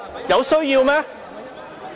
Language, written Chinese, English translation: Cantonese, 有需要嗎？, Is it necessary?